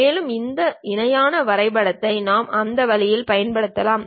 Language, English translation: Tamil, And, this parallelogram we can use in that way also